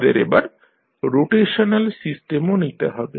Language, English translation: Bengali, Let us take the rotational system also